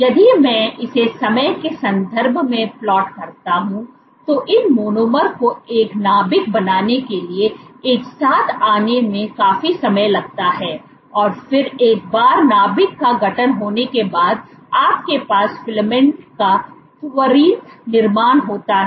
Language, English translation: Hindi, So, it takes quite some time for these monomers to come together form a nucleus and then once the nucleus is formed you have quick formation of a filament